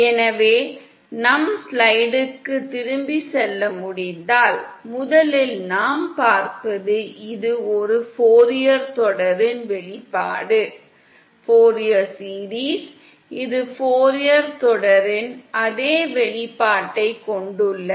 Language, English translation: Tamil, So if we can go back to our slide, first thing that we see is that, this is the expression of a Fourier series, this has the same expression as the Fourier series